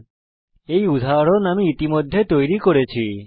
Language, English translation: Bengali, Here is an example that I have already created